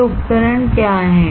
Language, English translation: Hindi, What are these devices